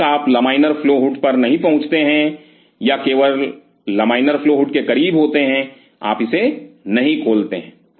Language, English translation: Hindi, Till you reach on the laminar flow hood or just close to the laminar flow hood, you do not open it